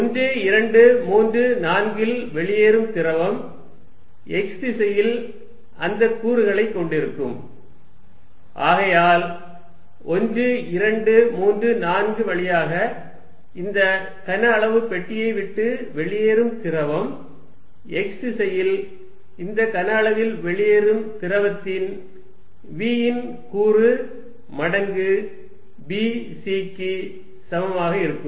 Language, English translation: Tamil, At 1, 2, 3, 4 fluid leaving would have that component in the x direction and therefore, fluid leaving the volume the box through 1, 2, 3, 4 is going to be equal to the component of v in the x direction coming out of the volume times b c again